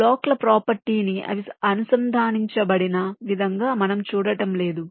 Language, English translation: Telugu, we were not looking at the property of the blocks, the way they are connected and so on